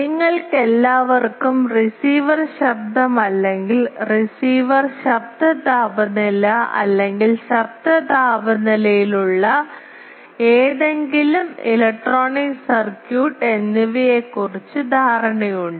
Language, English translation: Malayalam, All of you have idea of receiver noise or receiver noise temperature or any electronic circuit that has a noise temperature